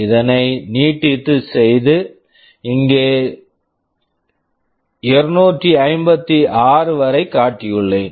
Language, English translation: Tamil, Here I have shown up to 256